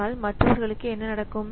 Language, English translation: Tamil, So, what happens to the others